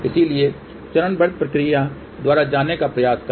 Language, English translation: Hindi, So, try to go step by step process